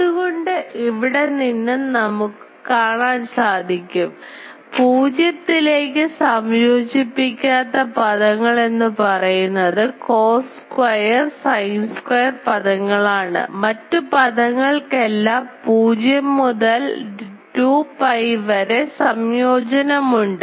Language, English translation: Malayalam, So, from here we will see that only terms that do not integrate to 0 are the cos square and sin square terms all other terms since we are having a 0 to 2 pi integration